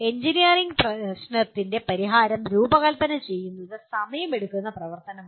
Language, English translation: Malayalam, And because designing solution for an engineering problem is a time consuming activity